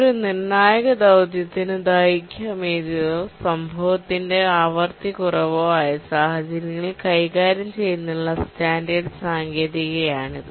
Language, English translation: Malayalam, So this is a standard technique to handle situations where a critical task has a long period or its frequency of occurrences lower